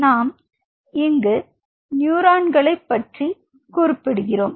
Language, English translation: Tamil, Now what is the function of a neuron